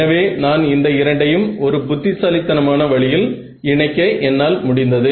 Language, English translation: Tamil, So, I have actually manage to merge these two in a very clever way